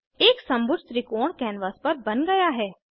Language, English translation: Hindi, An equilateral triangle is drawn on the canvas